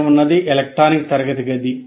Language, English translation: Telugu, What is in electronic classroom